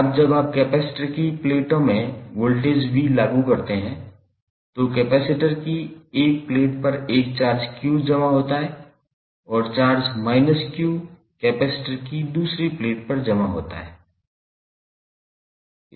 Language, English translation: Hindi, Now, when u apply voltage v across the plates of the capacitor a charge q is deposited on 1 plate of the capacitor and charge minus q is deposited on the other plate of the capacitor